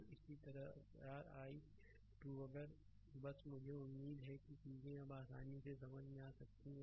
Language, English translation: Hindi, So, and similarly your i 2 if you just let me clear it, I hope this things are easy now understandable to you right